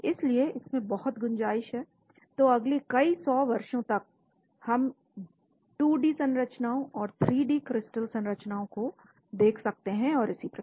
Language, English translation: Hindi, so there is lot of scope, so for the next several 100 years we may be looking at 2D sequences and 3D crystal structures and so on